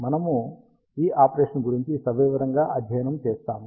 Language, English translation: Telugu, We will study this operation in detail